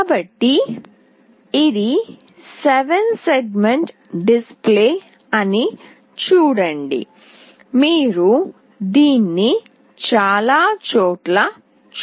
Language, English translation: Telugu, So, see this is a 7 segment display, you must have seen this in many places